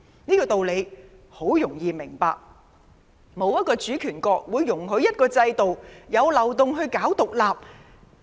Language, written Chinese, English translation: Cantonese, 這道理很容易明白，沒有一個主權國會容許一個制度存有漏洞宣揚獨立。, The point is simple and straightforward . No sovereign state will allow a system to have loopholes for publicizing independence